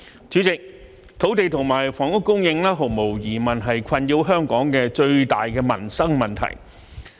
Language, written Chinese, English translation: Cantonese, 主席，土地和房屋供應毫無疑問是困擾香港的最大民生問題。, President the supply of land and housing is undoubtedly the biggest livelihood problem that plagues Hong Kong